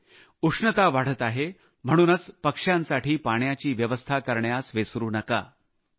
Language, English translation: Marathi, Summer is on the rise, so do not forget to facilitate water for the birds